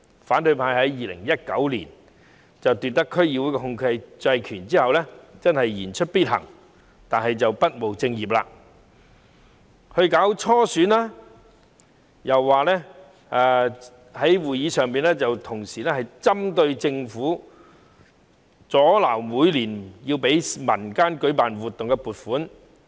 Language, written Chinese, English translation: Cantonese, 反對派在2019年奪得區議會的控制權後，真的言出必行，不務正業，既舉行初選，又在會議上針對政府，阻撓每年批給民間舉辦活動的撥款。, After the opposition camp took control at DCs in 2019 they really kept their word and neglected their main duties . They have not only held primaries but also picked on the Government at meetings and impeded funding for organizing community activities every year